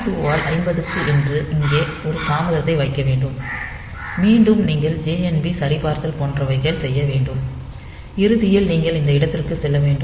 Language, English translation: Tamil, 2 by 50, again you should have that JNB check etcetera similar such similar type of check will be here, and then at the end you should go back to this point